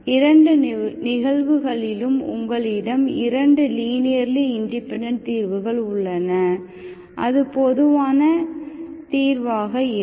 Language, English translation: Tamil, So you have an expression, you have 2 linearly independent solutions in both the cases, that will be the general solution, okay